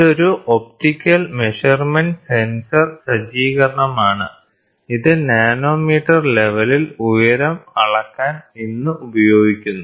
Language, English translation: Malayalam, So, this is an optical measurement sensor setup, which is used today for measuring the height in nanometre level